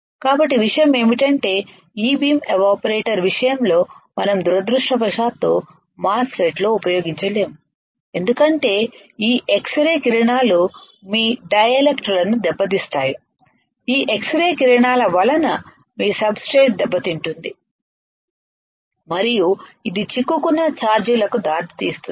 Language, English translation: Telugu, So, the point is that in case of E beam evaporators we cannot use unfortunately in MOSFET because this x rays will damage your dielectrics, this x ray will damage your substrate and this may lead to the trapped charges alright